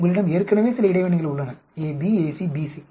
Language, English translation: Tamil, You have already have certain interactions AB, AC, BC